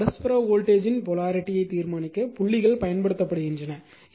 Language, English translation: Tamil, So, so this way dots are used to determine the polarity of the mutual voltage using this dot